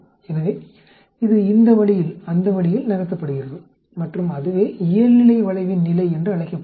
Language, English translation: Tamil, So it gets moved this way, that way and that is called the position of the normal curve